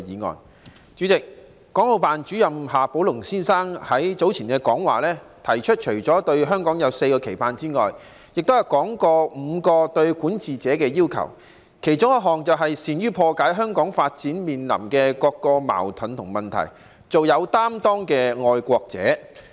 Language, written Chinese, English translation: Cantonese, 代理主席，港澳辦主任夏寶龍先生在早前講話中，除了提出對香港有4個期盼之外，亦說到5個對管治者的要求，其中一項便是"善於破解香港發展面臨的各種矛盾和問題，做擔當作為的愛國者"。, Deputy President in his earlier speech Mr XIA Baolong the Director of the Hong Kong and Macao Affairs Office of the State Council not only outlined four expectations for Hong Kong but also spelt out five requirements for administrators one of which is being a patriot committed to his responsibilities and capable of resolving various conflicts and problems facing Hong Kongs development